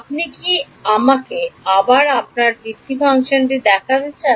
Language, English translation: Bengali, Do you want me to show you the basis function again